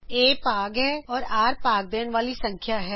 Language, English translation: Punjabi, a is dividend and r is divisor